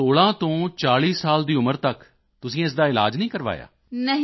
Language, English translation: Punjabi, So from the age of 16 to 40, you did not get treatment for this